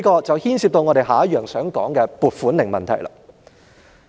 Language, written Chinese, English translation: Cantonese, 這牽涉我接着要談的"撥款令"問題。, This has something to do with the allocation warrants that I am going to talk about